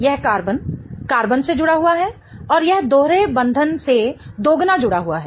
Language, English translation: Hindi, It is attached to carbon, carbon, and it is doubly attached to the double bond